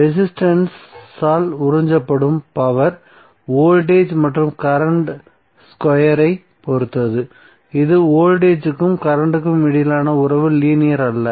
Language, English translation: Tamil, Because power absorb by resistant depend on square of the voltage and current which is nonlinear relationship between voltage and current